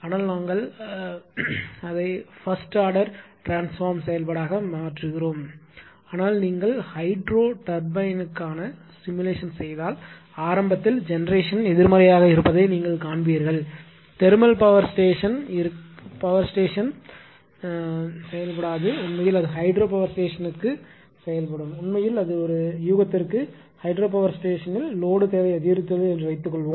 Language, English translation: Tamil, But we make it first order transfer function , but I hope I will not considered that ah it will be then ah although things are simple , but if you do the simulation for hydro turbine, you will see that initially generation is negative they decreasing and after that it just ah takes up right whereas, thermal power plant it will not happen another thing is for hydropower plant actually, if it actually it if load per suppose suppose, a hydropower station, it supplying load suppose load demand has increased